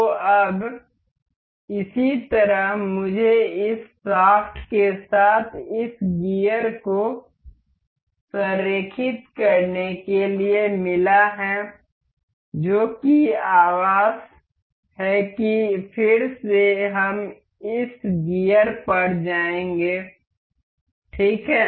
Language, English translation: Hindi, So, now in the same way, I have got to align this to this gear with this shaft that is housing that mate again we will go to this gear ok